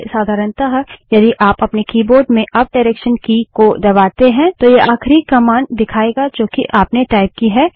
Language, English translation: Hindi, First, normally if you press the up key on your keyboard then it will show the last command that you typed